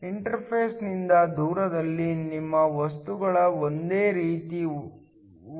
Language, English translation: Kannada, Far away from the interface your materials will behaves as the same